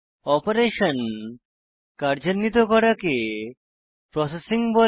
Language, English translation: Bengali, The task of performing operations is called processing